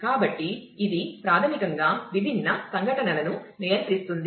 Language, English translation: Telugu, So, which basically controls the different events